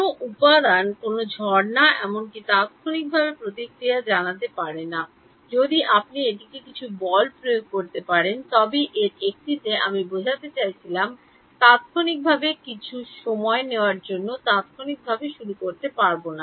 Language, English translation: Bengali, No material can respond instantaneously to even a springs supposing you apply some force to it does not in one I mean there is no instantly start oscillating it take some time